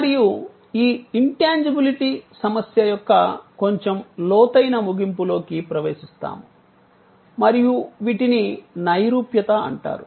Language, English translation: Telugu, We will get into a little deeper end of this intangibility problem and these are called abstractness